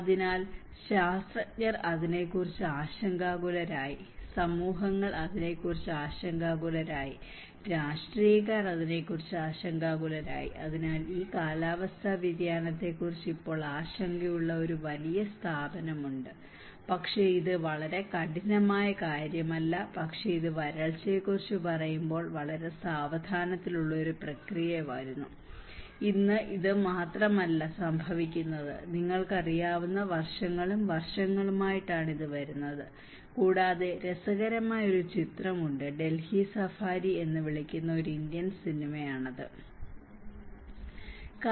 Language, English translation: Malayalam, So, the scientists were worried about it, the communities were worried about it, the politicians were worried about it so, there is a big institutional set up which is now concerned about this climate change but it is not a very drastic thing but it is coming in a very gradual process long when we say about drought it is not just today it is happening, it is coming from years and years you know, and there is one interesting film when the Indian film it is called Delhi Safari